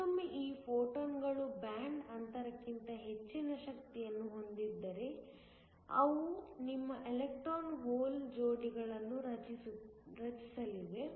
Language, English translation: Kannada, Again, if these photons have energy greater than the band gap, they are going to create your electron hole pairs